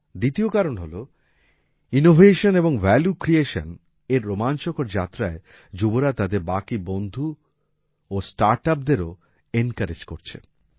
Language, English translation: Bengali, Secondly, in this exciting journey of innovation and value creation, they are also encouraging their other young colleagues and startups